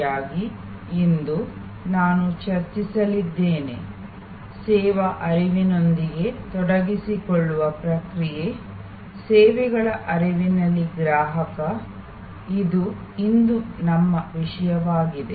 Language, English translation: Kannada, Today, I am going to discuss, the process of engaging with the service flow so, Consumer in the Services flow, this will be our topic today